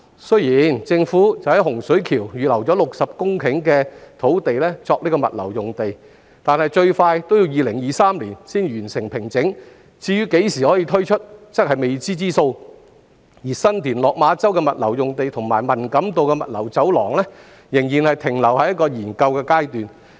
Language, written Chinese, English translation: Cantonese, 雖然政府在洪水橋預留了60公頃土地作物流用地，但最快要2023年才可完成平整，何時可以推出仍是未知之數，而新田/落馬洲的物流用地和文錦渡物流走廊仍然停留在研究階段。, Although the Government has reserved 60 hectares of land for logistics use in Hung Shui Kiu the site formation works will not be completed until 2023 at the earliest . So we have no idea about when this site will be available . Apart from that the logistics sites at San TinLok Ma Chau and the Man Kam To Logistics Corridor are still under study